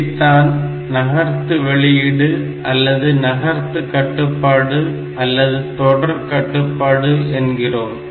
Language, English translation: Tamil, So, this is known as the shift output, a shift control or serial control